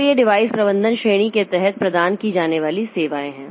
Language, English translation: Hindi, So these are the services provided by the under the device management category